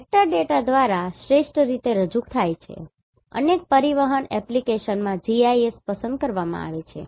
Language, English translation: Gujarati, are best represented by vector data GIS is preferred in several transportation application